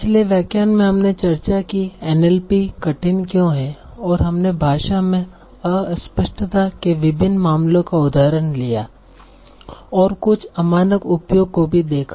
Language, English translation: Hindi, So in the last lecture we discussed why is an LP heart and we took examples of various cases of ambiguities in the language and some non standard usage also